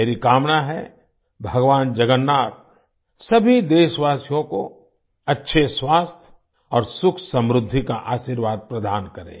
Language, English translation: Hindi, I pray that Lord Jagannath blesses all countrymen with good health, happiness and prosperity